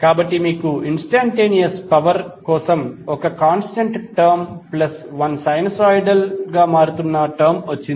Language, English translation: Telugu, We derive previously the instantaneous power is nothing but one constant term and plus one sinusoidally wearing term